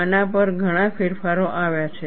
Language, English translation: Gujarati, Many modifications have come on this